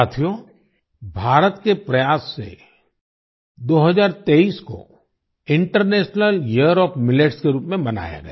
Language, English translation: Hindi, Friends, through India's efforts, 2023 was celebrated as International Year of Millets